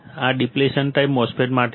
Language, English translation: Gujarati, This is for Depletion type MOSFET